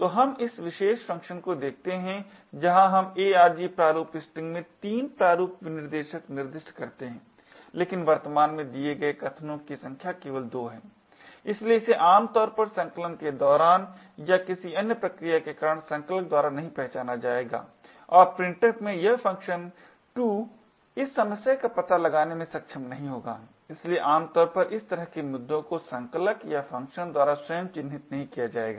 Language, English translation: Hindi, So, let us look at this particular function where we specify 3 format specifiers in arg format string but the number of arguments present is only 2, so this typically would not be detected by compilers during compilation or due to any other process and printf in its function 2 will not be able to detect this issue therefore typically these kind of issues will not be flagged by the compilers or by the function itself